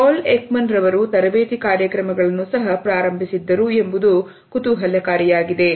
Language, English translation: Kannada, It is interesting to note that Paul Ekman had also started his training programmes